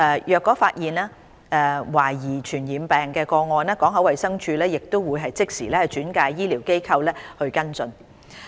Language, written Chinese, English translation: Cantonese, 如發現懷疑傳染病個案，港口衞生處亦會即時轉介醫療機構跟進。, Suspected cases of infectious diseases will be immediately referred by the Port Health Office to health care facilities for follow - up